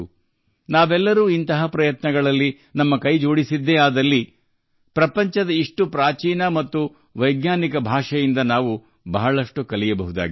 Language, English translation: Kannada, If we all join such efforts, we will get to learn a lot from such an ancient and scientific language of the world